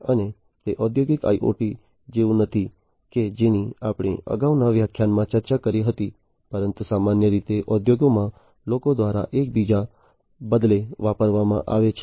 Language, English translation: Gujarati, And it is not exactly like the industrial IoT that we discussed in the previous lecture, but is often commonly used interchangeably by people in the industries